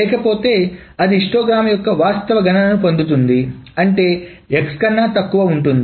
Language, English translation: Telugu, But otherwise it gets an actual count of the histogram means that are below that are less than x